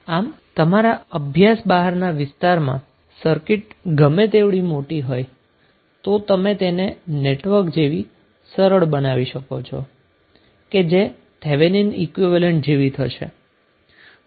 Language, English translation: Gujarati, So whatever the larger network outside the area of your study is present you will simply equal that network which is outside the area of your study by Thevenin equivalent